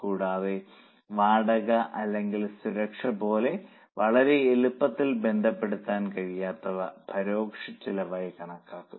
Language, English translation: Malayalam, And those which cannot be related very easily, like rent or like security security they would be considered as indirect costs